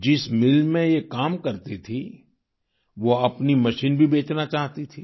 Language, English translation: Hindi, The mill where they worked wanted to sell its machine too